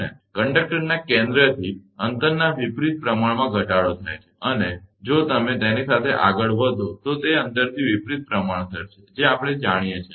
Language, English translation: Gujarati, And decreases inverse proportion to the distance from the centre of the conductor and, if you move along that, it is inversely proportional to the distance, that we know